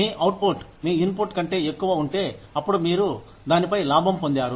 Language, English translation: Telugu, If your output is more than your input, then you made a profit on it